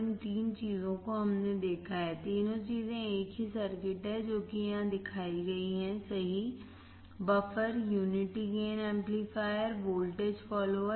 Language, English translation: Hindi, These three things we have seen, all three things is same circuit which is right shown here, buffer, unity gain amplifier or voltage follower